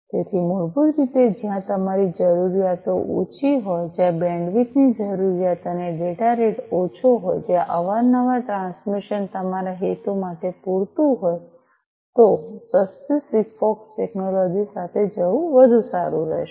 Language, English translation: Gujarati, So, basically where your requirements are less, where the bandwidth requirement and data rate are less, where infrequent transmissions will suffice your purpose, then it might be better to go with cheaper SIGFOX technology